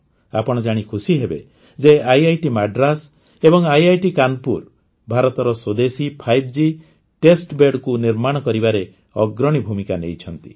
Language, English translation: Odia, You will also be happy to know that IIT Madras and IIT Kanpur have played a leading role in preparing India's indigenous 5G testbed